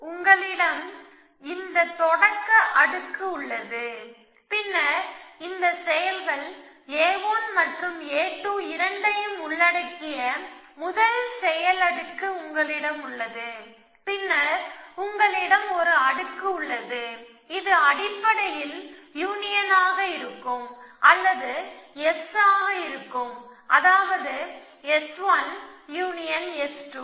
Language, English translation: Tamil, You have this layer start layer, then you have first action layer which includes both this actions A 1 and A 2 and, then you have layer which is basically the union or will be S, right S 1 union S 2